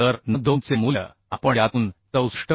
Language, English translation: Marathi, 5 So puting the value of n2 here as 64